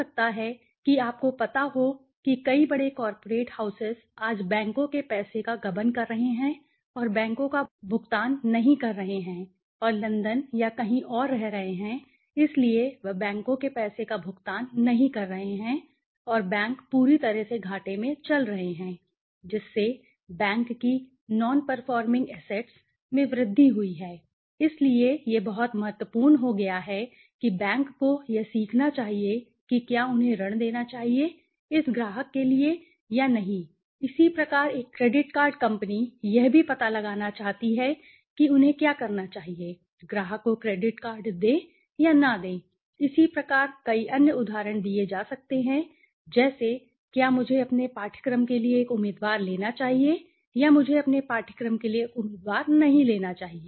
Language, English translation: Hindi, May be the you know like many big cooperate houses today are siphoning of a the banks money and not paying staying in London or somewhere so they are not paying the banks money and the banks are completely getting in to losses which has increased the non performing assets of the banks, so it is become very critical that the bank should learn whether they should a give a loan to this client or not similarly a credit card company wants to also find out whether they should give a credit card to the client or not right many other examples could be given for example whether should I take a candidate to my course or should I not take a candidate to my course